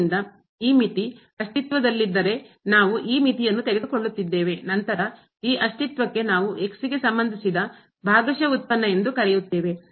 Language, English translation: Kannada, So, we are taking this limit if this limit exist, then we call the partial derivatives with respect to x exist